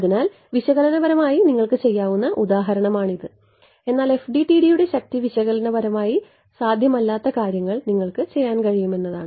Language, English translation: Malayalam, So, this is the example which you could have done analytically also right, but the power of the FDTD is that you can do things which are analytically not possible